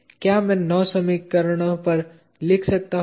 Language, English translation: Hindi, Can I write on 9 equations